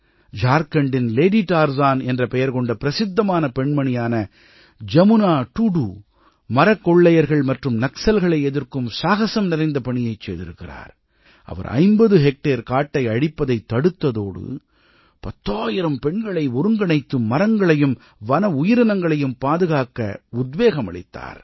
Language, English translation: Tamil, JamunaTudu, famous nicknamed 'Lady Tarzan' in Jharkhand, most valiantly took on the Timber Mafia and Naxalites, and not only saved the 50 hectares of forest but also inspired ten thousand women to unite and protect the trees and wildlife